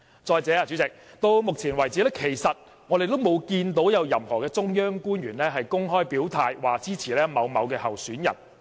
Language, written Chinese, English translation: Cantonese, 再者，代理主席，到目前為止，其實我們沒有看到有任何中央官員公開表態支持某位候選人。, Furthermore Deputy President so far no official of the Central Peoples Government has publicly shown support for any candidate